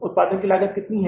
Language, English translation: Hindi, Cost of production is how much